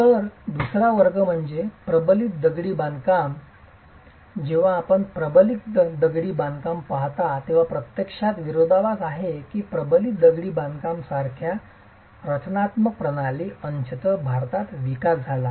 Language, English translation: Marathi, So, the second category is reinforced masonry and when you look at reinforced masonry, it is actually paradoxical that structural system like reinforced masonry was developed partly in India as well